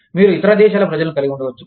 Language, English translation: Telugu, You could have people from, other countries